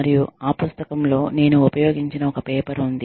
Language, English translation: Telugu, And, there is a paper in that book, that i have used